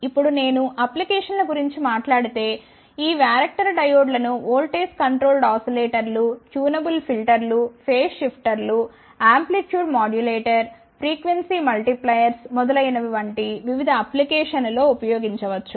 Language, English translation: Telugu, Now, if I talk about the applications these varactor diodes can be used in various applications like Voltage Controlled Oscillators, tunable filters, phase shifters, amplitude modulator, frequency multipliers etcetera